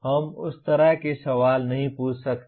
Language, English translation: Hindi, We cannot ask questions like that